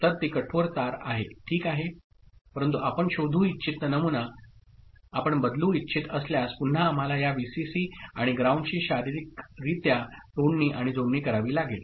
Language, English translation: Marathi, So, that is hard wired ok, but if you want to change the pattern that we want to detect, then again we have to physically disconnect and connect this Vcc and ground